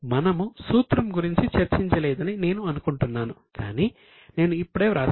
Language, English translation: Telugu, I think we have not discussed the formula but I will just write it down right now